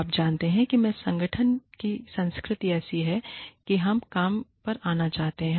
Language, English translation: Hindi, So, you know, the culture of the organization is such that, we want to come to work